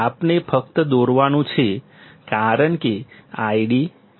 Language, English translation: Gujarati, We have to, we have to just draw because this is I D, this is ID